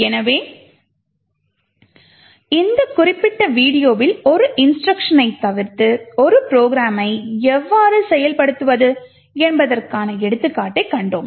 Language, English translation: Tamil, So, in this particular video, we have seen one example of how we could manipulate execution of a program in such a way so that an instruction can be skipped